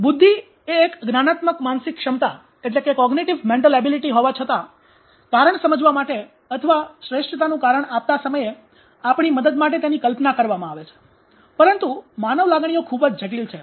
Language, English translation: Gujarati, So intelligence as a cognitive mental ability although has been conceptualized to help us to understand or provide a best for reason but human emotions are so complex